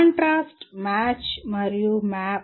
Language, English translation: Telugu, Contrast, match and map